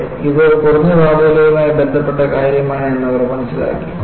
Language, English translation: Malayalam, So, they understood, yes, this is something to do with low temperature